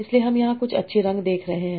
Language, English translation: Hindi, So what, so we are having seeing some nice colors here